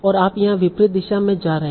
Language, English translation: Hindi, And you are going in the opposite direction here